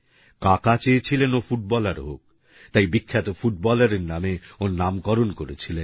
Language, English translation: Bengali, His uncle wanted him to become a footballer, and hence had named him after the famous footballer